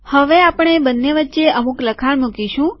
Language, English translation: Gujarati, Now we want introduce some text between these two